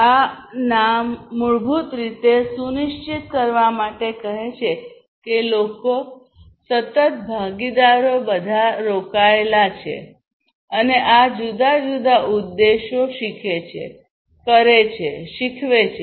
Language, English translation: Gujarati, And as this name says it basically to ensure that people, the constant stakeholders are all engaged, and they should follow these different objectives learn, do, teach